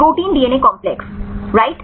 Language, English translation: Hindi, Protein DNA complex right